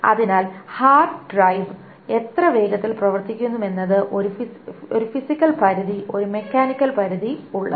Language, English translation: Malayalam, So that is why there is a physical limit, a mechanical limit as to how much faster a hard drive can be